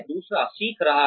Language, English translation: Hindi, The other is learning